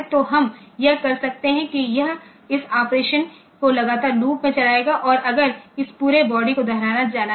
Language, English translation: Hindi, So, we can we can do that it will become continually looping this operation and if this entire body has to be repeated